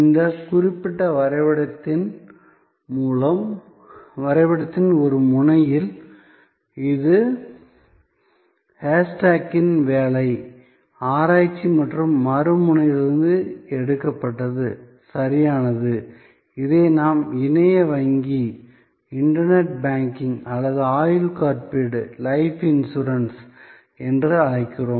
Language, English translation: Tamil, There is that at one end of this particular graph, which is adapted from Lynn Shostack work, research and right at the other end, we have this what we call internet banking or life insurance here